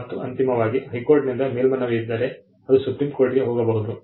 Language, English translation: Kannada, And eventually if there is an appeal from the High Court, it can go to the Supreme Court as well